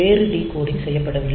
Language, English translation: Tamil, So, the there is no other decoding done